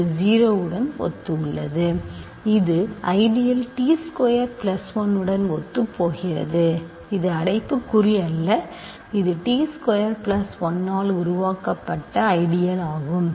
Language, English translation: Tamil, This corresponds to 0, this corresponds to the ideal t squared plus 1 sorry this is not bracket, this is the ideal generated by t squared plus 1